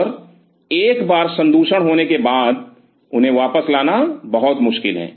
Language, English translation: Hindi, And once the contamination takes up, it is very tough to contain them so, coming back